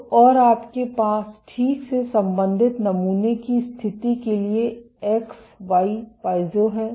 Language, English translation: Hindi, So, and you have an X Y Piezo for positioning the sample related to the true